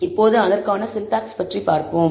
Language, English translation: Tamil, Now, let us look at the syntax for it